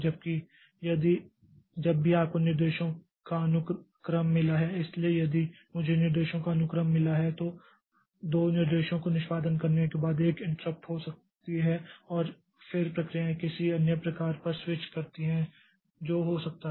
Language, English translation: Hindi, Whereas if whenever we have got a sequence of instructions, so if I have got a sequence of instructions, then after executing two instructions, so there can be an interrupt and then the processor switches to some other process that can happen